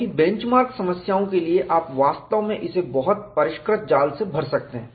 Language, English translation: Hindi, Because, for bench mark problems, you can really fill it, with very refined mesh